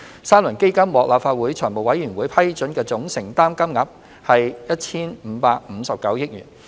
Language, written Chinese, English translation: Cantonese, 三輪基金獲立法會財務委員會批准的總承擔金額為 1,559 億元。, The Legislative Council Finance Committee approved a total financial commitment of 155.9 billion for the three rounds of AEF